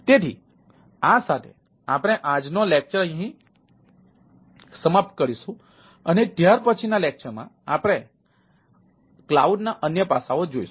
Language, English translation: Gujarati, so, uh, with this we will ah wrap up our todays lecture and in the subsequent lecture ah we will see that other aspects of cloud